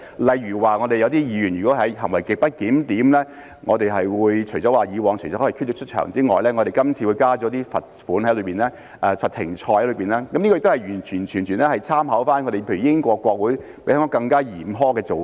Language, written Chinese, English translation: Cantonese, 例如有些議員如果行為極不檢點，除了以往可以驅逐出場之外，我們今次會加入一些罰款、罰"停賽"，這些完全是參考了例如英國國會比香港更加嚴苛的做法。, For instance in the case of grossly disorderly conduct of some Members apart from ordering them to withdraw from the meeting in the past we are now introducing a financial penalty and the suspension from service . All of these are proposed entirely based on reference drawn from the more stringent practices of for instance the British Parliament as compared with those of Hong Kong